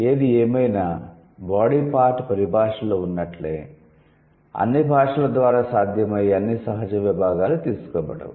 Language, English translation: Telugu, However, just as in case of body part terminology, not all possible natural divisions are picked up by all languages